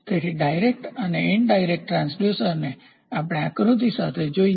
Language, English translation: Gujarati, So, direct and inverse transducer let us see with a schematic diagram